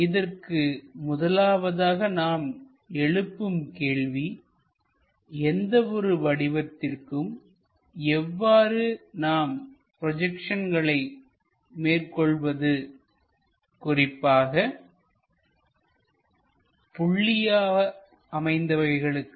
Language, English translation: Tamil, The first question what we would like to ask is how to draw projection of any object especially a point